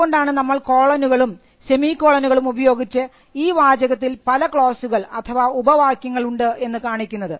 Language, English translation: Malayalam, So, that is why you will find that colons and semicolons are used to show that there are different clauses